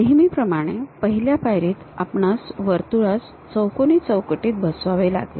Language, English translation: Marathi, The first step is always enclose a circle in a rectangle